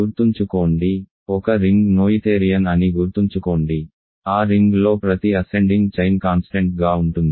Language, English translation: Telugu, Remember, a ring is noetherian, if and only if every ascending chain of ideals stabilizes in that ring